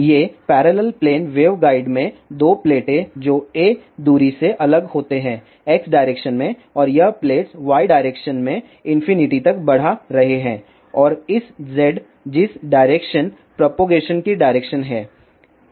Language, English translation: Hindi, These are the 2 plates in parallel plane waveguide which are separated by a distance a in X direction and these plates are extended to infinity in Y direction and this is Z direction which is the direction of propagation